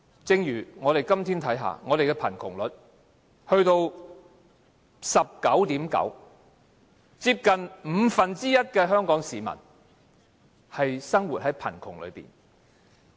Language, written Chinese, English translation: Cantonese, 正如我們看看今天的貧窮率達到 19.9%， 接近五分之一的香港市民生活於貧窮之中。, For example as we can see today the poverty rate has reached 19.9 % . Almost one fifth of Hong Kong people live in poverty